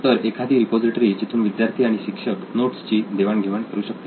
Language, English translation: Marathi, So having a repository where students and teachers can